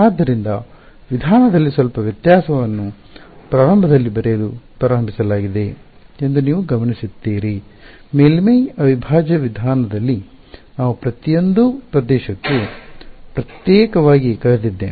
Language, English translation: Kannada, So, you notice the slight difference in approach is started write in the beginning, in the surface integral approach I went for each region separately solved separately subtracted